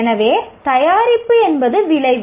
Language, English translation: Tamil, So what is an outcome